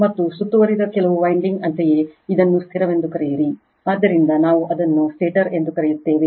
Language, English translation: Kannada, And surrounded by some winding so you call it is static, so we call it is stator